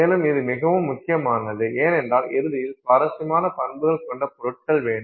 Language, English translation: Tamil, And this is very important because at the end of the day we want materials with interesting properties, interesting ranges of properties